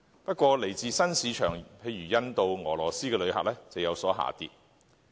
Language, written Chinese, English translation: Cantonese, 不過，來自新市場如印度、俄羅斯的旅客人數，則有所下跌。, Nevertheless arrivals from new markets such as India and Russia have dropped